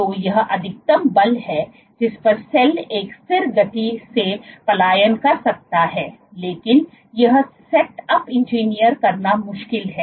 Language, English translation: Hindi, So, this is the maximum force at which the cell can migrate at a constant speed, but this setup is difficult to engineer